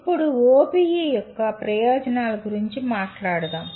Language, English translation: Telugu, Now, let us talk about advantages of OBE